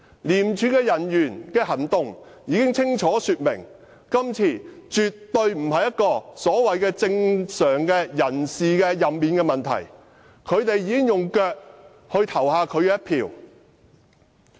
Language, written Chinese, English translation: Cantonese, 廉署人員的行動清楚說明，今次的人事任免絕對不是所謂的正常安排，他們已用腳投下他們的一票。, The actions of ICAC officers clearly indicated that the current appointment and removal of officials is definitely not a so - called normal arrangement and they had cast their votes with their feet